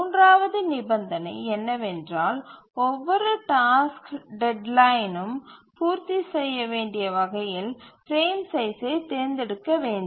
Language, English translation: Tamil, Now let's look at the third condition which says that the frame size should be chosen such that every task deadline must be met